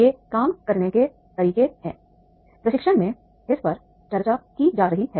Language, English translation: Hindi, There are the methods of working that are being discussed in the training